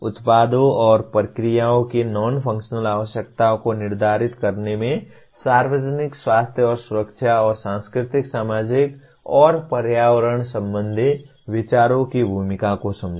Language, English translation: Hindi, Understand the role of public health and safety and the cultural, societal, and environmental considerations in determining the non functional requirements of products and processes